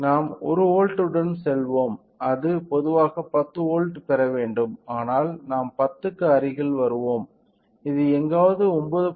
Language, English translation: Tamil, So, let us go with 1 volt it should generally get 10 volts, but we will get close to 10 which is somewhere around 9